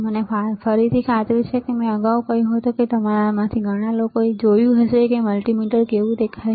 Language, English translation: Gujarati, I am sure again like I said earlier that lot of people a lot of you guys have already seen how a multimeter looks like